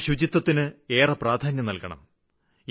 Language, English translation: Malayalam, And cleanliness should be given great importance